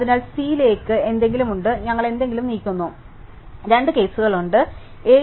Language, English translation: Malayalam, So, along the something is there to move into C, we move something, so there are two cases, the first cases to move from A